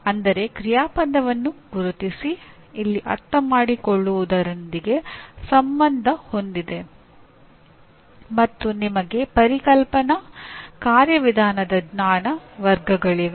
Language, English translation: Kannada, That means identify verb, here is associated with Understand and you have Conceptual, Procedural Knowledge Categories